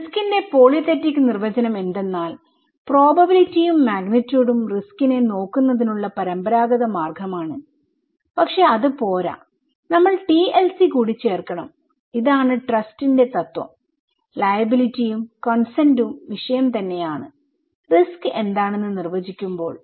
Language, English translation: Malayalam, So, polythetic definition of risk is that probability and magnitude that is the traditional way of looking at risk but that is not enough, we should add the TLC okay, this is the principle of trust, liability and consent are themselves also, the subject when we define that what is risk